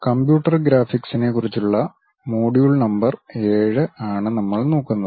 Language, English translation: Malayalam, We are covering module number 7 which is about Computer Graphics